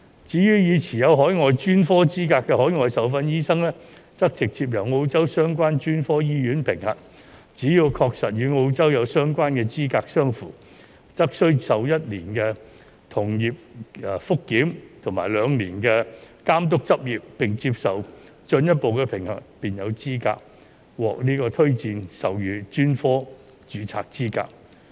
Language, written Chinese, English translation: Cantonese, 至於已持有海外專科資格的海外受訓醫生，則直接由澳洲相關專科醫院評核，只要確實與澳洲有相關的資格相符，則須受1年的同業覆檢及2年的監督執業，並接受進一步的評核，便有資格獲推薦授予專科註冊資格。, Overseas - trained doctors already having overseas specialist qualifications are assessed by relevant specialist colleges in Australia directly to ensure that the qualifications are comparable to that in Australia . They may be recommended for specialist registration subject to either one - year peer review period or a two - year supervised practice with further assessments